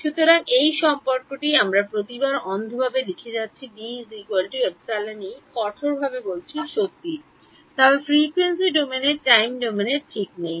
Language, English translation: Bengali, So, this relation that we have been blindly writing every time the D is equal to epsilon E strictly speaking is true, but in the frequency domain not in the time domain ok